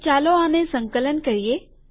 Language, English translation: Gujarati, So lets compile this